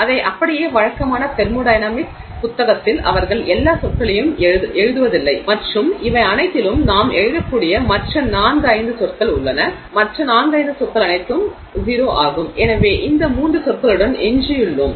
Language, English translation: Tamil, It is just that in the typical thermodynamics book they don't write all the terms and say all these, you know, there are these other four, five terms I can write and all the other four five terms are all zero and therefore we are left with these three terms